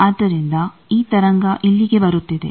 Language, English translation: Kannada, So, this wave is coming here